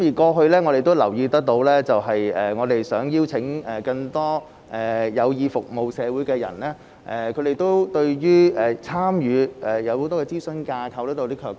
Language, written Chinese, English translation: Cantonese, 過去我們也留意到，我們想邀請更多有意服務社會的人士加入時，他們對於參與諮詢架構會有些卻步。, We have also noticed in the past that when we wished to invite more people interested in serving the community to join in they were somewhat hesitant about participating in the advisory framework